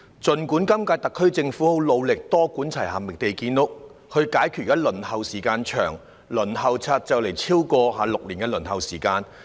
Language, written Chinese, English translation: Cantonese, 儘管今屆特區政府很努力多管齊下，覓地建屋，以解決現時公共房屋輪候時間長——公屋輪候冊的輪候時間即將超過6年。, Even though the current - term Special Administrative Region SAR Government has expended huge multi - pronged efforts to identify land sites for housing development so as to address the issue of long waiting time for public rental housing PRH at present the waiting time of the PRH Waiting List will soon exceed six years